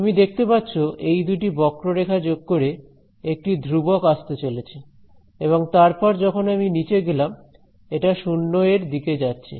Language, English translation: Bengali, You can see that these two curves they are going to add to a constant and then, as I go down it is going to follow this all the way to 0